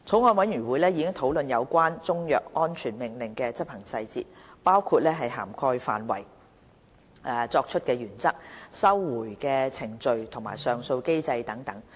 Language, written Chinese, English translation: Cantonese, 法案委員會已討論有關中藥安全令的執行細節，包括涵蓋範圍、作出的原則、收回的程序及上訴機制等。, The Bills Committee has discussed the operational details of CMSOs including the scope the principles of the making of CMSOs the recall procedures the appeal mechanism and so on